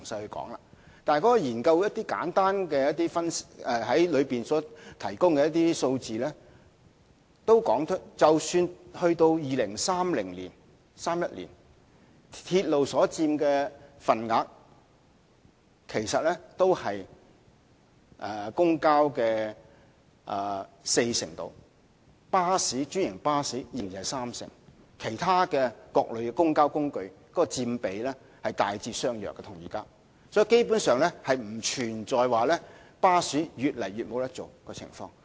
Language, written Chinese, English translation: Cantonese, 不過，《報告》提供了一些簡單數字，指出即使到了2031年，鐵路所佔的份額其實只是公共交通的四成左右，專營巴士則仍然是三成，而其他各類公共交通工具所佔的比例與現時的大致相若，因此基本上不存在巴士無法經營的情況。, But the Report offers some simple figures and points out that even by 2031 the share of railways in public transport will merely stand at around 40 % and the share of franchised buses will remain at 30 % . The rates of other modes of public transport will remain more or less the same as their present proportions . For these reasons the assertion that bus companies will be unable to operate is basically out of the question